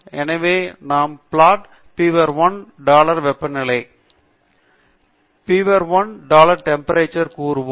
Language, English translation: Tamil, So, we say plot beaver1 dollar temperature